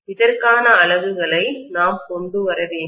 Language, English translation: Tamil, We will have to come up with the units for this